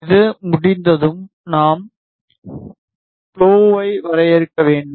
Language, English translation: Tamil, Once this is done we have to define the Plo